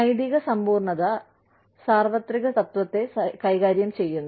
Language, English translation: Malayalam, Ethical absolutism, deals with universal principle